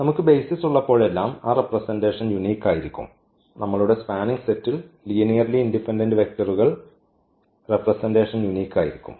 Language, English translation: Malayalam, So, that representation will be also unique whenever we have the basis our spanning set is having linearly independent vectors than the representation will be also unique